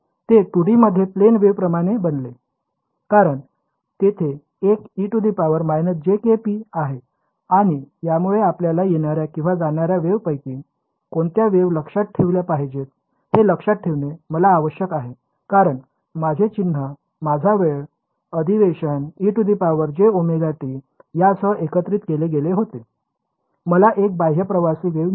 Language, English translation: Marathi, It became like plane wave in 2 D; because there is a e to the minus jk rho and this also what helped us to fix the which of the 2 incoming or outgoing waves we should keep remember because my sign my time convention was e to the j omega t combined with this I got an outward travelling wave right